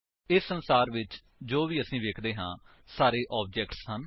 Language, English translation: Punjabi, Whatever we can see in this world are all objects